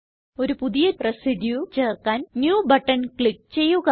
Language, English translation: Malayalam, To add a new residue, click on New button